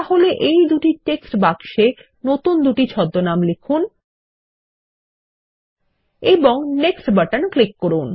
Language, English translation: Bengali, So let us type in these new aliases in the two text boxes and click on the Next button